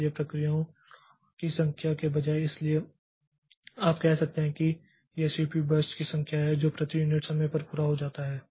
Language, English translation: Hindi, So, instead of number of processes, so you can say it is the number of CPU bursts that are completed per unit time